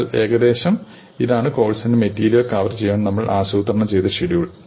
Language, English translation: Malayalam, But roughly this is the sequence and the speed at which we plan to cover the material in the course